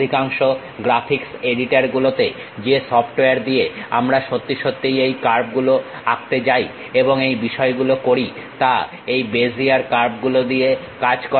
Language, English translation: Bengali, Most of the graphics editors, the softwares whatever we are going to really draw the curves and render the things works on these Bezier curves